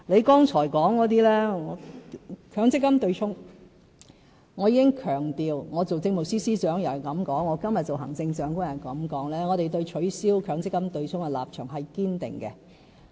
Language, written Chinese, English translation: Cantonese, 不管我還是政務司司長或今天作為行政長官，我也這樣說，我也強調我們對取消強積金對沖的立場是堅定的。, In this regard what I emphasize today as the Chief Executive is exactly the same as what I said when I was still the Chief Secretary for Administration . We are determined to abolish the offsetting arrangement under the MPF System